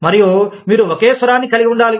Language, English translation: Telugu, And, you must, have the same voice